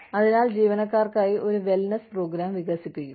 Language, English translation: Malayalam, So, develop a wellness program for employees